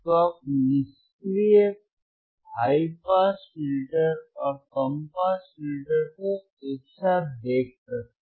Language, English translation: Hindi, So, you can see the passive high pass filter and low pass filter these are connected together